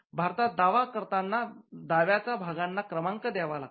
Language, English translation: Marathi, In India, you will have to mention the numbers of the parts within the claim also